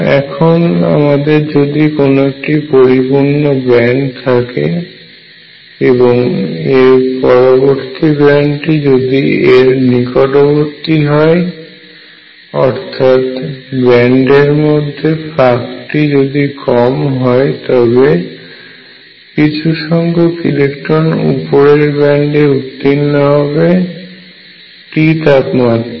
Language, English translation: Bengali, Now, if I have a band which is fully filled, and next band which is close to it band gap is not much, this gap is very small then some electrons can move to the upper band at temperature t